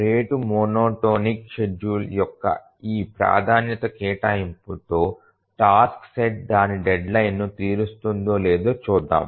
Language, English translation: Telugu, Now let's check whether with this priority assignment of the rate monotonic scheduling, the task set will meet its deadline